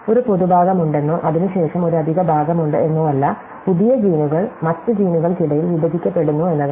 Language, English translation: Malayalam, So, it is not that there is a common part, and then there is an extra part, it rather than the new genes are interspersed among the other genes